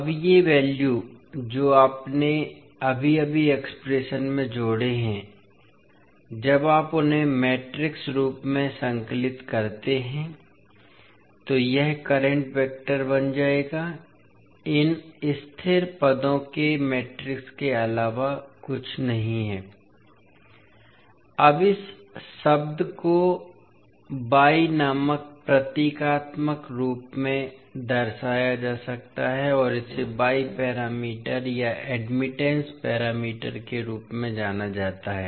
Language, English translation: Hindi, So now these values which you have just added in the expression when you compile them in the matrix form it will become the current vector, is nothing but the matrix of these constant terms are nothing but y 11, y 12, y21 and y22 and then multiplied by voltage vector